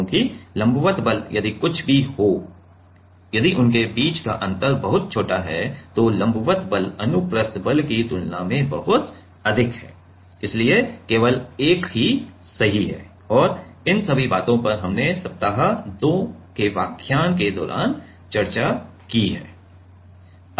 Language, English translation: Hindi, Because, normal force if the whatever be the like if the gap is very small between them then normal force is much much higher than the transverse force so, only 1 is correct And these things we have all discussed in during the week 2 lectures ok